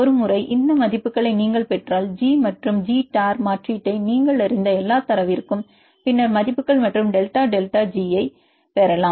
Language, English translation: Tamil, Once we get this values then for any data you know the G and G tor substitute then values and you can get the delta delta G